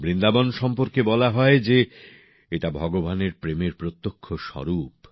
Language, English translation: Bengali, It is said about Vrindavan that it is a tangible manifestation of God's love